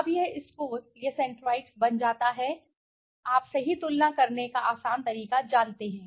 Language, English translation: Hindi, Now this score this centroids becomes a very you know easier way of comparing right